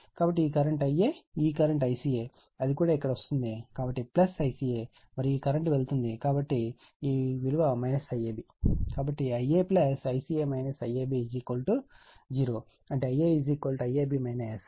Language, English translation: Telugu, So, this current is I a, this I ca current it also coming here, so plus I ca and this current is your what we call it is leaving, so it is minus I ab is equal to 0; that means, my I a is equal to I ab minus I ca right